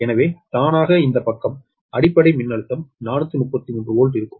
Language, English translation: Tamil, so automatically this side will be base voltage will be four thirty three volt